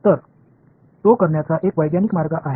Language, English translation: Marathi, So, that is one scientific way of doing it